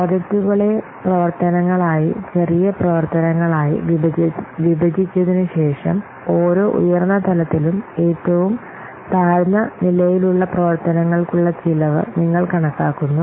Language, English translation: Malayalam, So, after breaking the projects into activities, smaller activities, then you estimate the cost for the lowest level activities